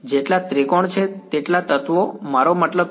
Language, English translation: Gujarati, As many triangles I mean as many elements